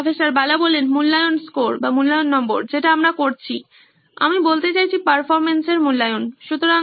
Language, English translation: Bengali, Assessment score, that’s what we are performing, I mean assessing the performance, so